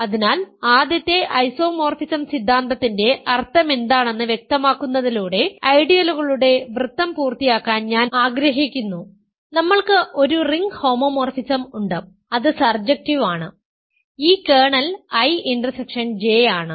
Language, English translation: Malayalam, So, I want to complete the circle of ideas by stating what is the implication of first isomorphism theorem, we have a ring homomorphism which is surjective and this kernel is I intersection J